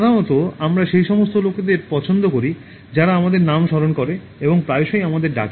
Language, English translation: Bengali, Normally, we like those people who remember our names and call us frequently by our names